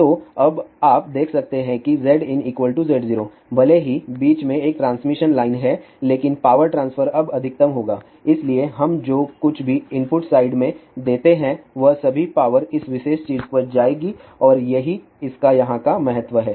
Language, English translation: Hindi, So, now, you can see that Z in is equal to Z 0, even though there is a transmission line in between but the power transfer will be now maximum, so whatever we give at the input side all the power will go to this particular thing and that is the significance of this here